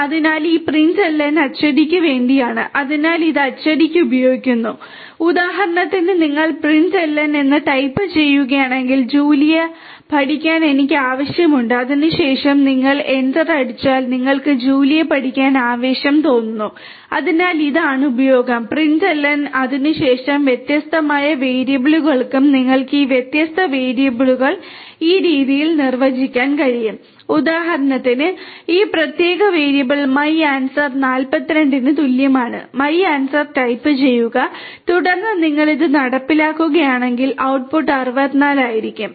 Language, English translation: Malayalam, So, this println is for printing right so it is used for printing and for example, if you type in println I am excited to learn Julia then after that if you hit enter you will get I am excited to learn Julia so this is the use of println and then for different other variables you can define these different variables in this manner for example, this particular variable my answer equal to 42 type of my answer and then if you execute this the output will be in 64